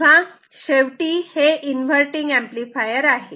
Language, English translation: Marathi, Now last thing, this inverting amplifier ok